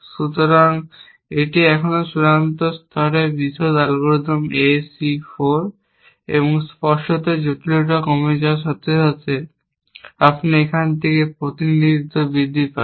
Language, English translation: Bengali, So, that is the still final level detail algorithm A C 4 and, obviously the complexity decrease as you go from here to here representation increases, we have to represent more things essentially